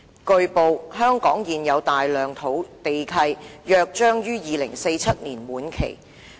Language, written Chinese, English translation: Cantonese, "據報，香港現有大量土地契約將於2047年滿期。, It has been reported that a large number of existing land leases in Hong Kong will expire in 2047